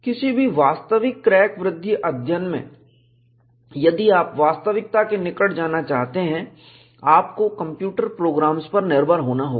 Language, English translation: Hindi, In any realistic crack growth studies, if you want to go closer to reality, you have to depend on computer programs